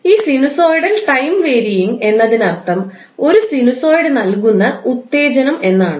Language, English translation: Malayalam, So, the sinusoidal time wearing excitations means that is excitation given by a sinusoid